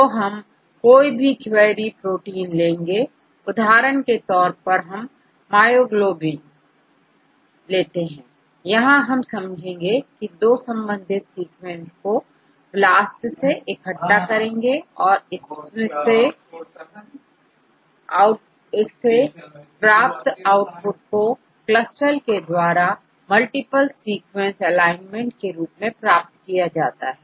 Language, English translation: Hindi, So, we take any query protein for example myoglobin, we will explain how to is BLAST together related sequences and from the output of BLAST we use the CLUSTAL to get the multiple sequence alignment